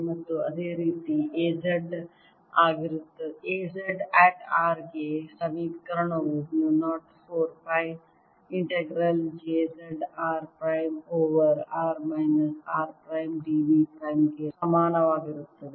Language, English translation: Kannada, similarly, equation for a z at r is equal to mu naught over four pi integral j z r prime over r minus r prime d v prime